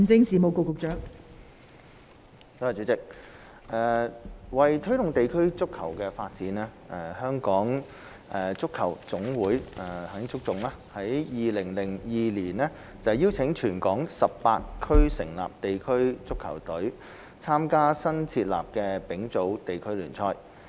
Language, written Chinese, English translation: Cantonese, 代理主席，為推動地區足球發展，香港足球總會於2002年邀請全港18區成立地區足球隊參加新設立的丙組地區聯賽。, Deputy President to promote district football development the Hong Kong Football Association HKFA invited all 18 districts in 2002 to establish district football teams to participate in the then newly - formed Third Division League